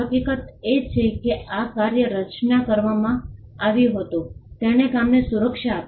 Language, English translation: Gujarati, The fact that the work was created granted protection to the work